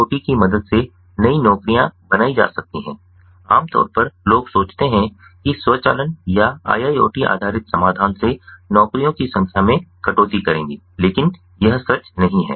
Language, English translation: Hindi, it is not that, you know, typically people think that automation or iiot based solutions will cut down on the number of jobs, but that is not true